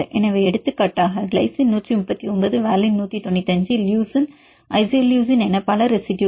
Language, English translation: Tamil, So, for example, glycine 139, valine 195, leucine isoleucine so on several residues